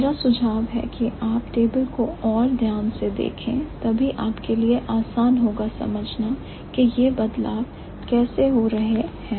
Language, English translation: Hindi, My suggestion would be look at the table more carefully than it would be easier for you to understand how the changes are happening